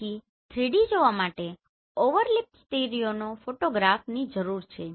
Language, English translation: Gujarati, There is a concept called overlapping stereo photography